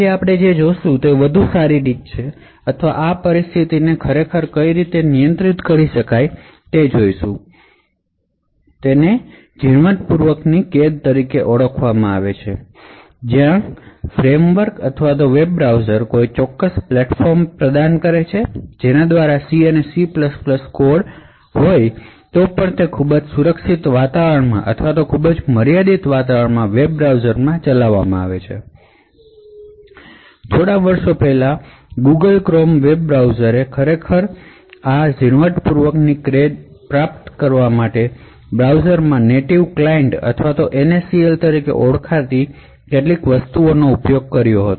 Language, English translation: Gujarati, What we will be seeing today is a better way or to actually handle this situation, so what will be looking at is something known as Fine grained confinement where the framework or the web browser would provide a particular platform by which C and C++ code can be executed in a web browser in a very protected environment or in a very confined environment, so till a few years back the Google Chrome web browser used some use something known as Native Client or NACL in their browsers to actually achieve this Fine grained confinement